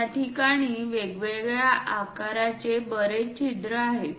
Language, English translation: Marathi, There are many holes of different sizes